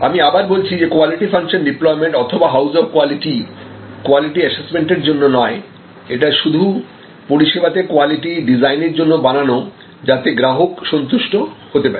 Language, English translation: Bengali, And I will repeat Quality Function Deployment or house of quality is not for assessment of quality, but for designing quality in the service